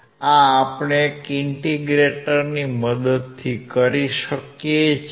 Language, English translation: Gujarati, This we can do with the help of an integrator